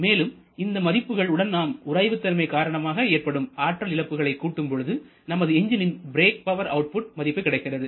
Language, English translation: Tamil, And then finally when we add the frictional losses to that then we get the actual brake power output from your engine